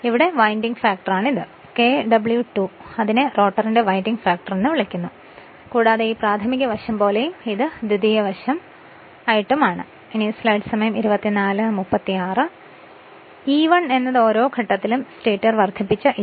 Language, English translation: Malayalam, And this is winding factor Kw2 also call the winding factor of the rotor and as if this your primary side, as if this is your secondary side right